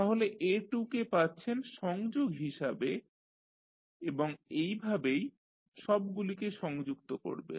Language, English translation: Bengali, So, you got minus a2 as the connection and similarly you connect all of them